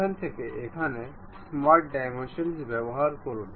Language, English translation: Bengali, Use smart dimensions from here to here